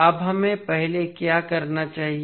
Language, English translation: Hindi, Now, what we have to do first